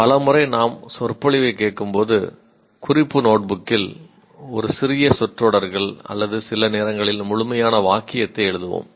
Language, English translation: Tamil, Many times when we listen to the lecture, we write a little, we'll scribble on the notebook, either a small phrases or sometimes complete sentence